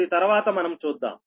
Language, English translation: Telugu, later we will see that